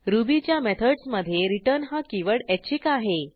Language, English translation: Marathi, The keyword return in method is optional in Ruby